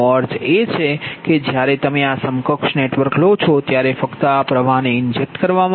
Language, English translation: Gujarati, that means when you take this equivalent network, right, only this current being injected